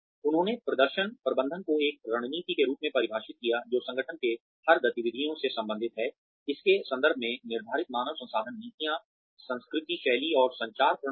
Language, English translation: Hindi, They defined performance management as a strategy, which relates to every activity of the organization, set in the context of its human resource policies, culture, style, and communication systems